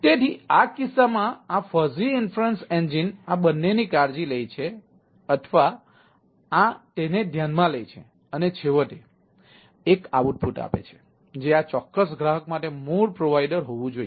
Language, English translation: Gujarati, this fuzzy inference engine in this case takes care or consider these two and finally give a output: that which should be the ah base providers for this particular customer